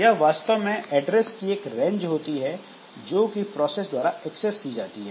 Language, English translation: Hindi, So, they are actually the range of addresses that can be accessed by a process